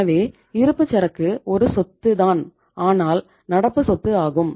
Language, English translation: Tamil, So it means inventory is a asset but a current asset